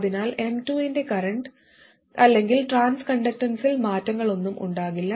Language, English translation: Malayalam, So there will be no change in the current or trans connectance of M2